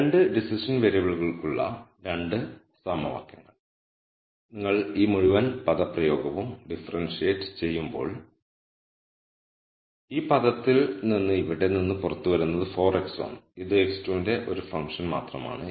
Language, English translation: Malayalam, So, the 2 equations for the 2 decision variables so, when you differentiate this whole expression with respect to x 1 4 x 1 comes out of this term right here and this is only a function of x 2